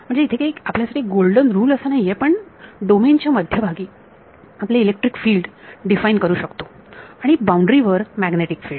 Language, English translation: Marathi, So, it is not a golden rule you can have it the other way, you can define you electric fields to be at the centre of the domain and magnetic fields on the boundary